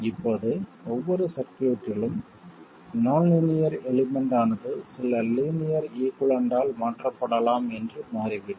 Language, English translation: Tamil, It turns out that in every circuit the nonlinear element can be replaced by some linear equivalent